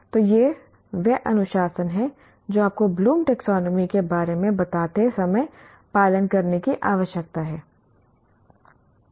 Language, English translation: Hindi, So that is the discipline that we need to follow when you are talking about this Bloom's taxonomy